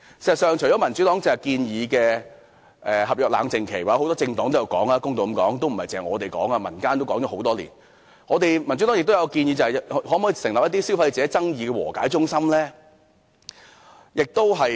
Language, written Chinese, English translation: Cantonese, 事實上，除了民主黨剛才建議的合約冷靜期——或公道的說，不只民主黨有提出，很多政黨都有提及，民間都曾提出多年——民主黨亦建議成立消費者爭議和解中心。, To be fair apart from the Democratic Party other political parties did propose introducing cooling - off period for consumer agreements . Members of the community had proposed this for years too . The Democratic Party also recommends the establishment of a consumer dispute resolution centre